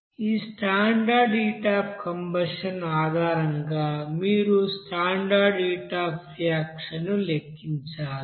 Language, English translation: Telugu, So based on this you know standard heat of combustion you have to calculate what will be the standard heat of reaction